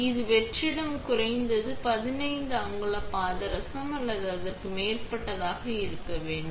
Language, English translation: Tamil, It also requires vacuum to be at least 15 inches of mercury or more